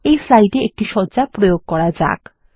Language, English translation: Bengali, Now, lets apply a color to the slide